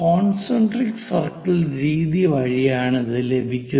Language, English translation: Malayalam, So, concentric circles method